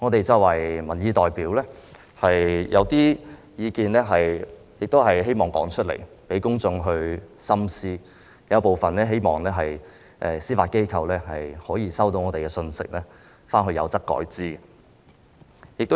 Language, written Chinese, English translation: Cantonese, 作為民意代表，我們希望說出一些意見讓公眾深思，亦希望司法機構會考慮部分意見，收到我們表達的信息，有則改之。, As representatives of public opinions we wish to express some views for the public to reflect on and we also hope that the Judiciary will get the message conveyed by us and consider some of our views as appropriate